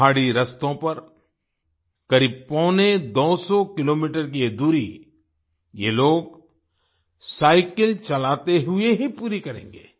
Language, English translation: Hindi, These people will complete this distance of about one hundred and seventy five kilometers on mountain roads, only by cycling